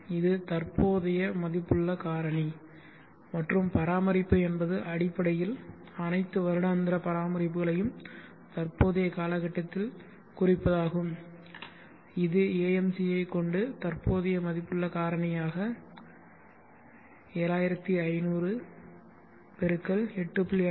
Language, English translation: Tamil, 51 this is the present worth factor and maintenance is basically refection of all the annual maintenances into the present time frame which is AMC x the present worth factor which is will be 7500 x 8